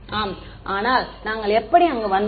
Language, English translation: Tamil, Yeah, but how did we arrive there